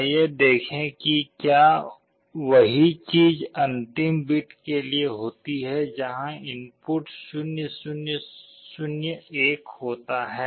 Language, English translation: Hindi, Let us see whether the same thing happens for the last bit where the input is 0 0 0 1